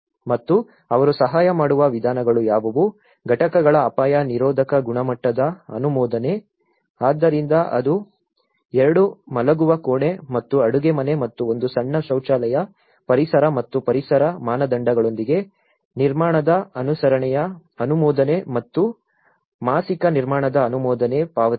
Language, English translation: Kannada, And what are the ways they were assisting, approval of hazard resistant quality of the units so it could be a 2 bedroom and a kitchen and 1 small toilet, approval of the conformance of the construction with ecological and environmental standards and approval of the monthly construction payments